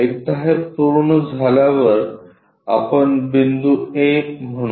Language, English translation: Marathi, Once we are done these point we call a